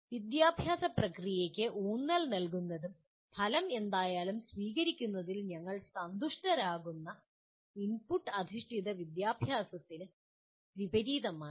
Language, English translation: Malayalam, It is the opposite of input based education where the emphasis is on the educational process and where we are happy to accept whatever is the result